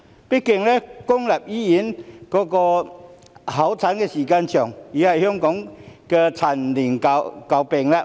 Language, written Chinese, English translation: Cantonese, 畢竟，公立醫院候診時間長，已是香港的陳年舊病。, After all the long waiting time at public hospitals has been an age - old chronic disease of Hong Kong